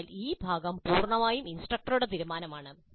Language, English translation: Malayalam, So this part of it is a totally instructor decision